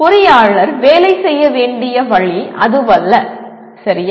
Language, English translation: Tamil, That is not the way engineer need to work, okay